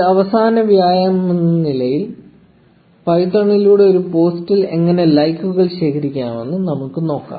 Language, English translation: Malayalam, As one last exercise let us see how to collect likes on a post through python